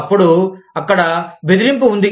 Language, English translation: Telugu, Then, there is intimidation